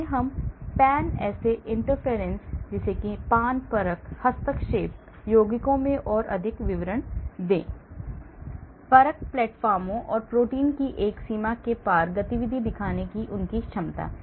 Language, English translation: Hindi, Let us go more deeper into that, this Pan assay interference compounds; their ability to show activity across a range of assay platforms and against a range of protein